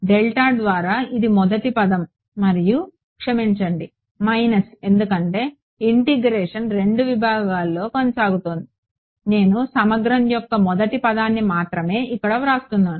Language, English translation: Telugu, Minus U 1 by delta plus U 2 by delta this is the first term plus sorry minus because the integration is continued over the second segment, I am only writing the first term of the integral what is the derivative now